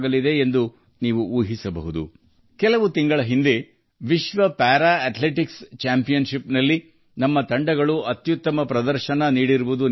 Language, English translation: Kannada, You might remember… a few months ago, we displayed our best performance in the World Para Athletics Championship